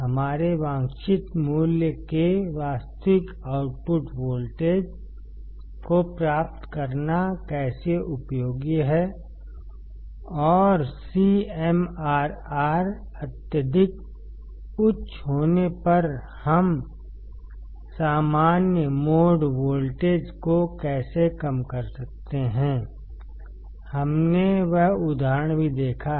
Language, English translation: Hindi, How it is useful to get the actual output voltage of our desired value and how we can reduce the common mode voltage if the CMRR is extremely high; we have seen that example as well